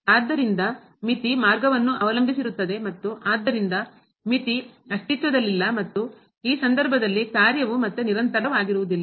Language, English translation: Kannada, So, limit depends on path and hence the limit does not exist and the function is not continuous again in this case